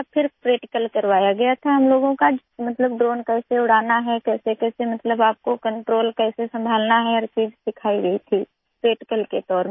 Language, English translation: Hindi, Then practical was conducted, that is, how to fly the drone, how to handle the controls, everything was taught in practical mode